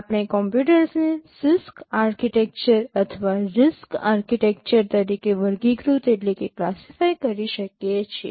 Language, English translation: Gujarati, We can classify computers as either a CISC architecture or a RISC architecture